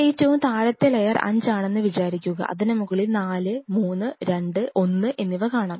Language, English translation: Malayalam, It is always like if the lowermost layer is 5 next is 4 then 3 2 1